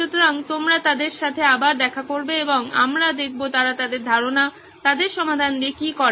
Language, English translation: Bengali, So you will meet them again and we will see what they do with their idea, their solution